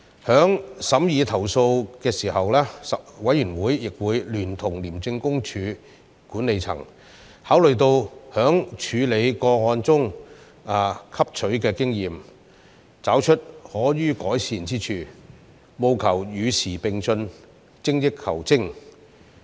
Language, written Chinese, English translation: Cantonese, 在審議投訴時，委員會亦會聯同廉政公署管理層考慮處理個案過程汲取所得的經驗，找出可予改善之處，務求與時並進，精益求精。, Together with ICAC management we also looked into areas where ICAC officers need to strengthen themselves based on the lessons learnt from the complaints considered with a view to keeping abreast of the times and striving to excel themselves